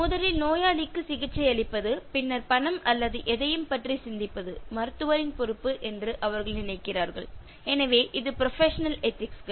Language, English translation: Tamil, They feel that it is the responsibility of the doctor to treat the patient first and think about money or anything later, so that is professional ethics